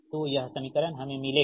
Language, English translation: Hindi, so this equation we will get